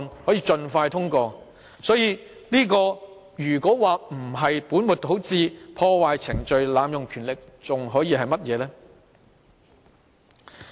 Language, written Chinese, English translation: Cantonese, 所以，如果說這樣不是本末倒置、破壞程序及濫用權力，還可以是甚麼？, Hence how can we say that this is not putting the cart before the horse disrupting Council proceedings and abusing powers?